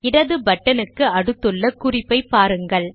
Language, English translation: Tamil, Observe the comment next to the left button